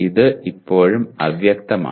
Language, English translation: Malayalam, This is still vague